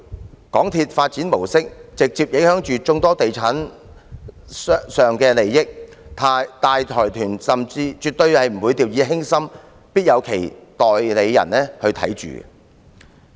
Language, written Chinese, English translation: Cantonese, 港鐵公司的發展模式直接影響眾多地產商的利益，大財團絕不會掉以輕心，必有其代理人看管。, MTRCLs mode of development has direct impact on the interests of real estate developers those large consortia will never treat it lightly and they must arrange for agents to oversee it